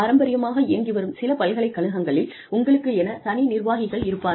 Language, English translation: Tamil, In, traditional university systems, you have separate administrators